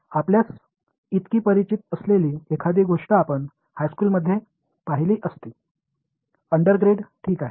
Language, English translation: Marathi, Something which is very familiar to you, you would have seen it in high school, undergrad alright